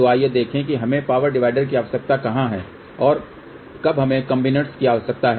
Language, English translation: Hindi, So, let us see where we need power dividers and when we need combiners